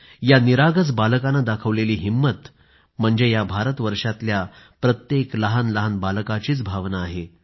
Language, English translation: Marathi, The mettle of this innocent lad is a representative sample of the feelings of each &every child of the Nation today